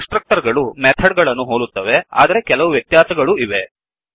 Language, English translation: Kannada, Constructors are also similar to methods but there are some important differences